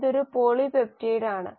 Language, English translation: Malayalam, This is a polypeptide